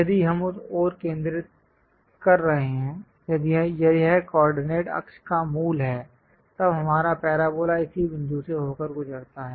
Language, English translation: Hindi, If we are focusing centred around that, if this is the origin of the coordinate axis; then our parabola pass through this point